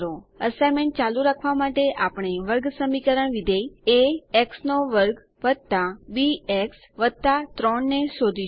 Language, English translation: Gujarati, To continue with the assignment, we will be tracing a quadratic function a x^2 + bx + 3